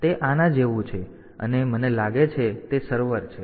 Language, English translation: Gujarati, So, it is like this I think there are server